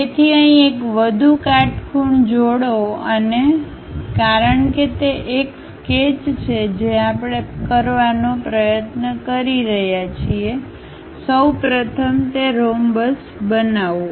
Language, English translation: Gujarati, So, here drop one more perpendicular and because it is a sketch what we are trying to have, first of all construct that rhombus